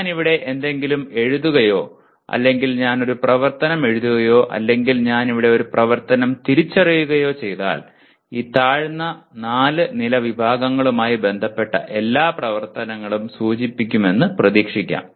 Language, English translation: Malayalam, If I write something here or if I write an activity, identify an activity here; then it can be expected all the activities related to these four lower level categories are implied